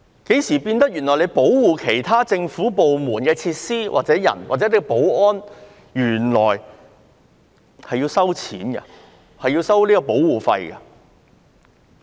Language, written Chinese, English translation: Cantonese, 警務處保護其他政府部門的設施、人員或執行保安，何時起要收取保護費了？, Since when does HKPF charge protection fees for protecting the facilities and personnel of other government departments or for enforcing security there?